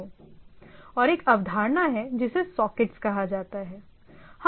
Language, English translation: Hindi, And there is there are a concept called sockets